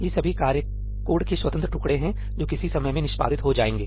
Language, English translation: Hindi, All these tasks are independent pieces of code that will get executed at some point in time